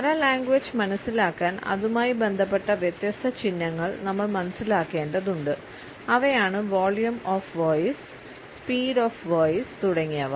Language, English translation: Malayalam, In order to understand paralanguage we have to understand different signs associated with it and these are volume of voice speed of voice etcetera